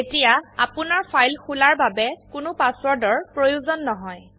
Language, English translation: Assamese, You do not require a password to open the file